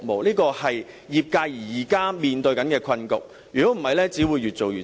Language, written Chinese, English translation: Cantonese, 這是業界現時面對的困局，如不處理，只會越做越差。, This is the difficult situation facing the industry . If this is not tackled the services will worsen